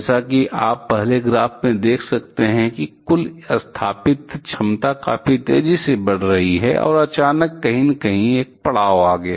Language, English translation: Hindi, As you can see from the first graph; the total installed capacity kept on increasing quite rapidly, and suddenly somewhere here it found a halt